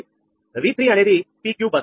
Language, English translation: Telugu, v three is a pq bus